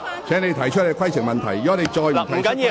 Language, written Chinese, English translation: Cantonese, 請你提出規程問題，否則便請坐下。, Please raise your point of order otherwise please sit down